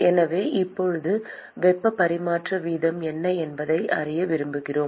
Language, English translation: Tamil, So now, we want to find out what is the heat transfer rate